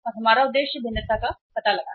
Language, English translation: Hindi, Our objective is to find out the variation